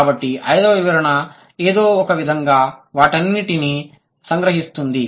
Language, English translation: Telugu, So, what is the, and fifth explanation somehow would summarize all of them